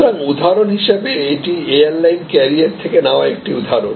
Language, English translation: Bengali, So, for example, this is a example taken from airline carriers